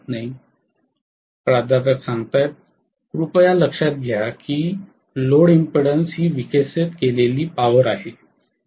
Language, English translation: Marathi, Please note that the load impudence is the power that is been developed